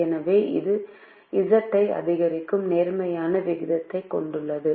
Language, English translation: Tamil, the coefficient is positive, so it has a positive rate of increasing z